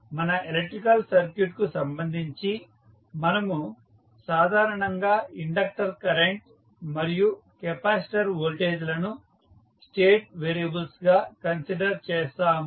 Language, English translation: Telugu, In this case also we select inductor current and capacitor voltage as the state variables